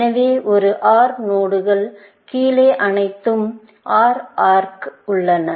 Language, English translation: Tamil, So, an OR node has all OR arcs below it